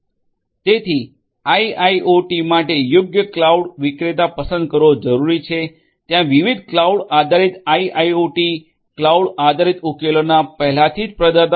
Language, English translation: Gujarati, So, it is required to choose the right cloud vendor for IIoT, there are different; different cloud based IIoT cloud based solution providers that are already there